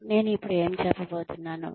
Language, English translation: Telugu, What I am going to say now